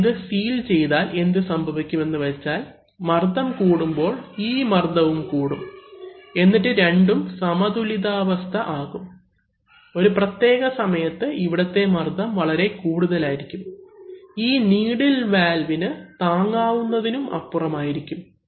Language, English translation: Malayalam, So suppose we, or we might have sealed it, so then what happens is that, as this pressure rises, this pressure will also keep rising and they will balance each other, at a certain point of time the pressure here will be too much, for this needle valve to resist